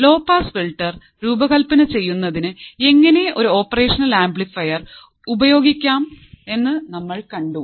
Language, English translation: Malayalam, We have seen how you can use an operational amplifier for designing the low pass filter